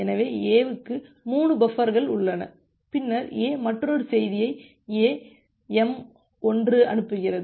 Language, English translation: Tamil, So, A has 3 buffers left, then A sends another message A m1